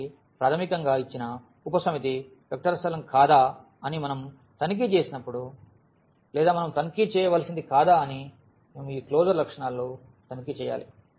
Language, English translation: Telugu, So, basically when we check whether a given subset is a vector space or not what we have to check we have to check these closure properties